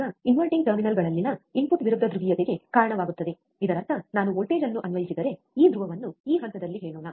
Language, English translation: Kannada, Now, the input at the inverting terminals result in opposite polarity; that means, that we have seen that if I apply a voltage, right which let us say this polar this phase